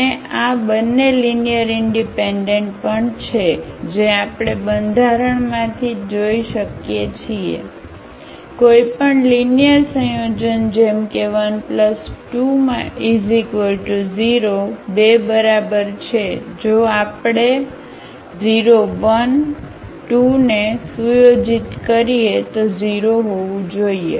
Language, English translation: Gujarati, And these two are also linearly independent which we can see from the structure itself, any linear combination like alpha 1 plus alpha 2 is equal to if we set to 0 the alpha 1 alpha 2 has to be 0